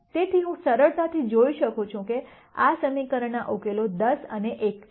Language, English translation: Gujarati, So, I can easily see that this equation has solutions 10 and 1